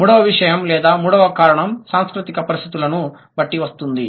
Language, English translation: Telugu, Third thing or the third reason, depending on the cultural conditions